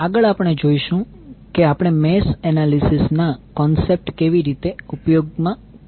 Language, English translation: Gujarati, Next we see how we will utilize the concept of mesh analysis